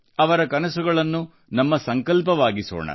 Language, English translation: Kannada, Their dreams should be our motivation